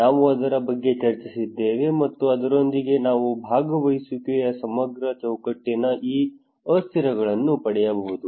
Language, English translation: Kannada, We discussed about that, and with that one we can get these variables of a comprehensive framework of participations